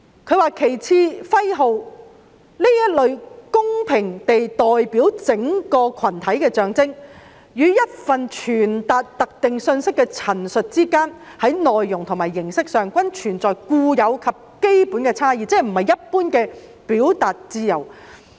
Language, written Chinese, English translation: Cantonese, "旗幟、徽號......這類公平地代表整個群體的象徵，與一份傳達特定訊息的陳述之間，在內容和形式上，均存在固有及基本差異，即不是一般的表達自由。, a flag emblem impartially representing the whole of a group be it a small band or a large nation is inherently and essentially different both in substance and form from a statement conveying a specific message whether bland or controversial